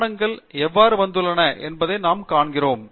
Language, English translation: Tamil, And we see how the document references have come